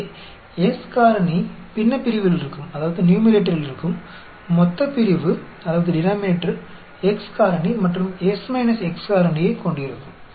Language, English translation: Tamil, So, S factorial in the numerator; denominator will have x factorial and S minus x factorial